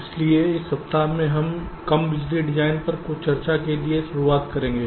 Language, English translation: Hindi, so in this week we shall be starting with some discussions on low power design